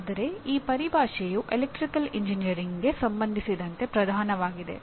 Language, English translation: Kannada, But this terminology is dominantly with respect to Electrical Engineering